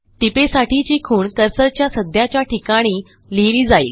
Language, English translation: Marathi, The anchor for the note is inserted at the current cursor position